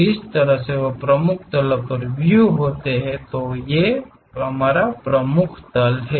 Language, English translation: Hindi, The way views are there on principal planes, these are the principal planes